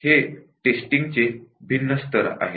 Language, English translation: Marathi, These are the different levels of testing